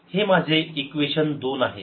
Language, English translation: Marathi, this is my equation two